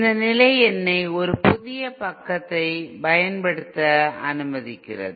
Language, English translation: Tamil, This condition let me use a fresh page for this